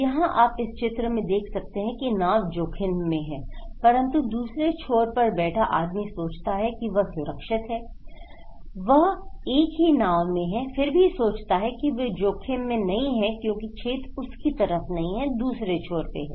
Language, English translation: Hindi, Here, look into this in this picture okay, you can see this boat is at risk but the person in the other end thinks that we are not safe, he is in the same boat, but he thinks that okay I am not at risk because the hole is not at my side, is in the other end